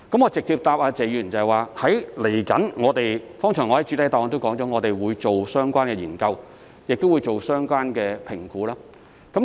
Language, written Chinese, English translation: Cantonese, 我直接回答謝議員，我剛才在主體答覆也提到，我們將會進行相關研究和評估。, Let me answer Mr TSE directly . Just as I have mentioned in my main reply earlier on we will conduct relevant studies and assessments